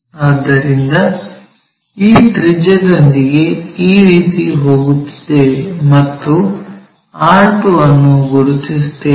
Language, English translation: Kannada, So, with this radius if we are going in this way we will locate r2, then project this r 2 all the way to locate r2'